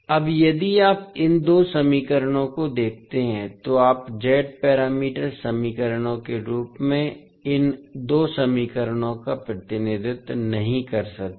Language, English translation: Hindi, Now, if you see these two equations you cannot represent these two equations in the form of Z parameter equations